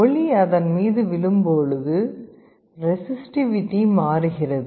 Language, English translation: Tamil, When light falls on them the resistivity changes